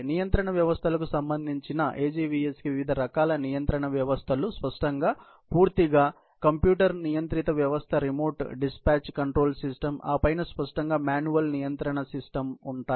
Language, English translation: Telugu, As regards the control systems, the AGVS have different kinds of control systems; obviously, there is a completely computer controlled system; there is also a remote dispatch control system